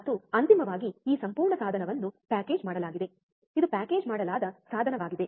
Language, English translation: Kannada, And finally, this whole device is packaged, this is a packaged device right